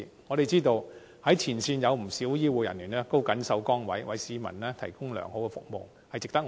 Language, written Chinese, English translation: Cantonese, 我們知道，前線有不少醫護人員都謹守崗位，為市民提供良好服務，值得讚賞。, As we all know quite a number of frontline healthcare personnel are worth praises for remaining steadfast in their posts and providing the public with good services